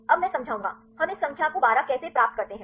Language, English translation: Hindi, Now I will explain; how we get this number 12